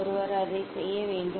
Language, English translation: Tamil, one should do that and